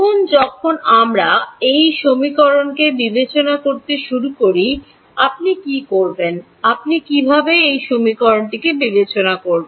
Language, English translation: Bengali, Now, when we begin to discretize these equations, what is what would you do, how would you discretize these equations